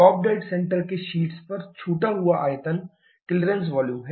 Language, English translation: Hindi, The volume left on top of the top dead centre is the clearance volume